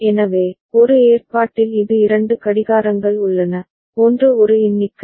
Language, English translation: Tamil, So, in one arrangement this there are two clocks, one is a count up